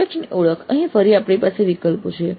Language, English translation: Gujarati, Then identifying the projects, again here we have choices